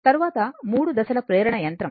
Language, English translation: Telugu, Then, 3 phase induction machine